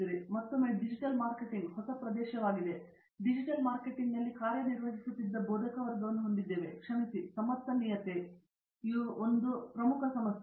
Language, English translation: Kannada, Now, again marketing digital marketing as the new area and we have faculty who have been working in digital marketing as well, sorry and then after sustainability being an important issue